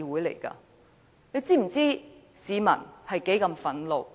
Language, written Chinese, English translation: Cantonese, "大家是否知道市民有多憤怒？, Do Members know how angry the public are?